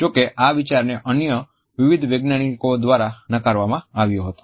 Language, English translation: Gujarati, However, this idea was soon rejected by various other scientists